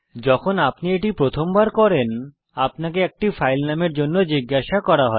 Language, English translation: Bengali, When you do it the first time, you will be prompted for a file name